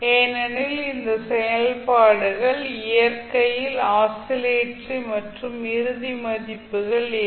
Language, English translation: Tamil, Because these functions are oscillatory in nature and does not have the final values